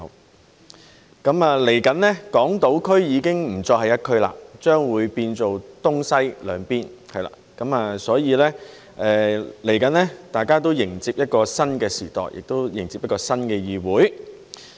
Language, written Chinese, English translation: Cantonese, 不久將來，港島區不再是一區，變成東西兩邊，所以大家即將迎接一個新的時代，亦迎接一個新的議會。, In the near future Hong Kong Island will no longer be one constituency but consist of two constituencies on the east and west respectively so we are about to usher in a new era and a new legislature